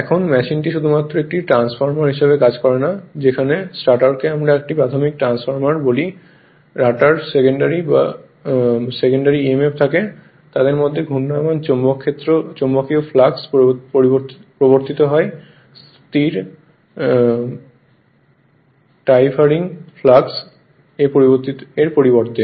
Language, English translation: Bengali, Now, the machine you acts merely as a transformer where the stator we calls a primary right transformer and the rotor the secondary have emf of the same frequency induced in them by the rotating magnetic flux, rather than by stationary time varying flux as in a ordinary transformer